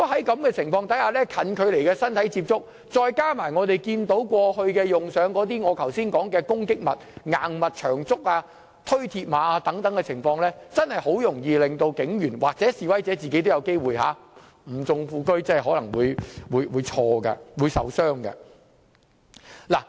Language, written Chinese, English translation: Cantonese, 在示威中近距離的身體接觸，加上我剛才提及的攻擊物和推鐵馬等行為，真的很容易令警員受傷，示威者本身亦有機會因為誤中副車而受傷。, At the scene of protests physical contacts at close range attacking with objects such as hard objects and long bamboos as I have mentioned just now and pushing over mills barriers will easily cause injuries to policemen . There are also chances for protesters to sustain injuries when hitting the wrong target